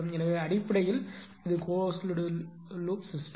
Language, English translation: Tamil, So, basically it is a closed loop system